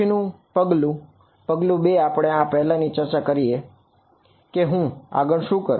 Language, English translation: Gujarati, Next step; step 2 we discuss this previously what do I do next